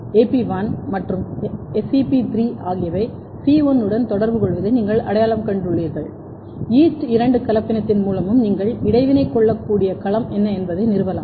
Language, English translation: Tamil, Then if you have identified ok AP1 and SEP3 are interacting with C1, you can also establish through yeast two hybrid that what is the domain of interaction